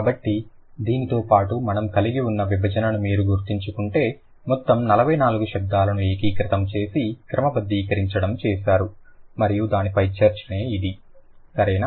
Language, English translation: Telugu, So, along with this, all the 44, if you remember the division that we had, all the 44 sounds have been consolidated and compiled and then this is the discussion on that